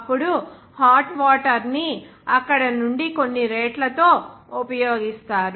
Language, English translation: Telugu, Then for use that hot water will be used with certain rates from there